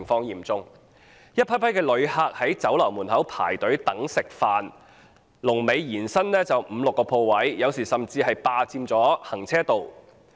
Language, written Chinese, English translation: Cantonese, 一批批旅客在酒樓門前輪候進餐，龍尾延伸至五六個鋪位後，有時甚至霸佔了行車道。, Batches of visitors waited outside the restaurant for their meals and the queue stretched five or six shops and even occupied the carriageway in some cases